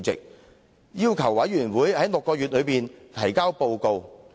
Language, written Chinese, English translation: Cantonese, 特首要求調查委員會在6個月內提交報告。, The Chief Executive asked the Commission to submit a report within six months